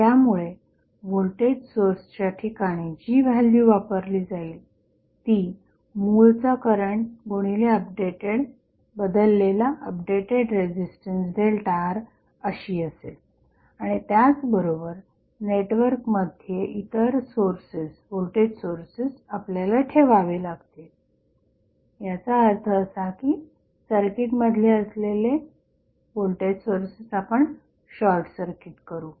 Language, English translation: Marathi, So, the value of placed to voltage source would be equal to the original current multiplied by the updated the change in resistance that is delta R and at the same time, we have to keep all the other voltage sources in the network of that means that we will short circuit the voltage source which are there in the circuit